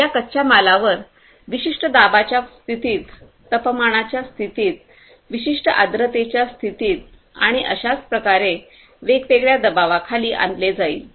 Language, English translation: Marathi, These raw materials are going to be subjected through different pressure, under certain pressure condition, temperature condition, in certain humidity condition and so on